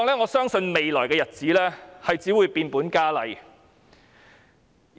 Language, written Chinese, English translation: Cantonese, 我相信在未來的日子，這種情況只會變本加厲。, I believe that the situation will only worsen in the coming days